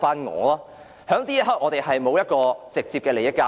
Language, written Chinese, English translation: Cantonese, 我們當時沒有直接利益交易。, When this happens we do not have any direct exchange of benefits